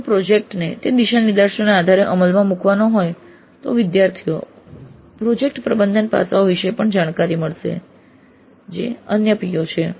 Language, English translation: Gujarati, What are guidelines that the institute has provided if the project is to be implemented based on those guidelines then the students will get exposure to project management aspects also, which is again another PO